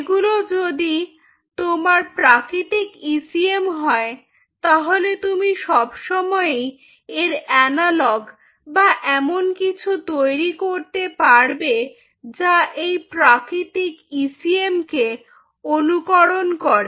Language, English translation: Bengali, what we mean by synthetic ecm is, if these are your natural ecms, you can always develop analogue or something which mimics these natural ecm